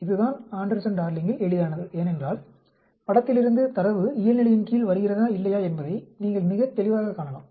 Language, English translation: Tamil, This is the easiest of the Anderson Darling, because you can see from the figure very clearly whether the data is falling under the normal or not